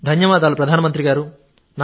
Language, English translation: Telugu, Thank you, Prime Minister ji